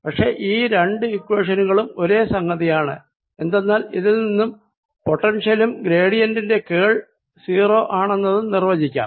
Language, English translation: Malayalam, but these two equations are one and the same thing, because from this follows that i, we can define a potential, and curl of a gradient is zero